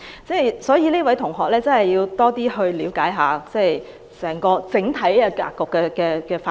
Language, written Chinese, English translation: Cantonese, 這位同學要多了解一下整體格局的發展。, This classmate should have a better understanding of the overall development of the whole region